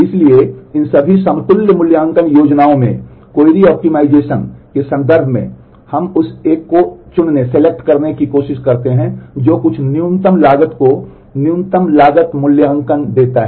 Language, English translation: Hindi, So, in terms of query optimization out of all these equivalent evaluation plans we try to choose the one that gives some minimum cost the lowest cost evaluation